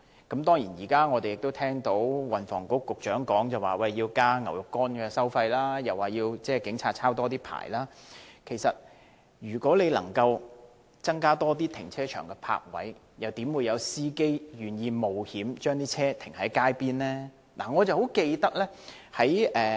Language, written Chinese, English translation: Cantonese, 運輸及房屋局局長說要增加"牛肉乾"的收費，又要求警察多"抄牌"，但如果能夠增加停車場的泊位，又怎會有司機願意冒險把車輛停泊街邊呢？, The Secretary for Transport and Housing said that the fine of the Fixed Penalty Notice should be increased and police officers should issue more traffic tickets . That said if parking spaces at car parks can be increased will there be any drivers who want to take the risk of parking their vehicles on the roadside?